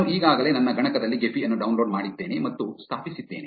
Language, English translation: Kannada, I have already downloaded and installed Gephi on my machine